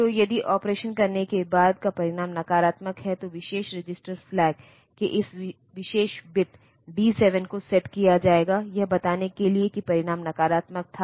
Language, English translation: Hindi, So, if the result after doing the operation is say negative, then this particular be D 7 of the special register flag, will be set to one telling that the result was negative